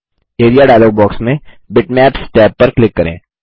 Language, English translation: Hindi, In the Area dialog box, click the Bitmaps tab